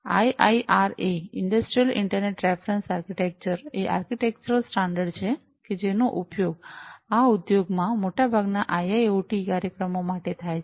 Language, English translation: Gujarati, So, IIRA Industrial Internet Reference Architecture is the architectural standard, that is used for most of these IIoT applications in these industries